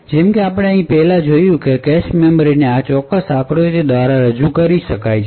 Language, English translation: Gujarati, As we have seen before the cache memories could be very abstractly represented by this particular figure